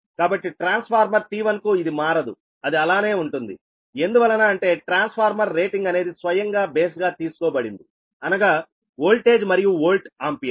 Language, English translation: Telugu, so for transformer t one, this will not change, it will remain as it is because transformer rating itself has been taken as a base, that voltage as well as your volt ampere, right